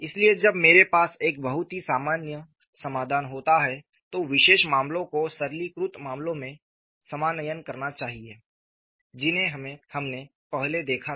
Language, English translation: Hindi, Any general solution in a particular case should reduce to the earlier simplified cases that you are looked at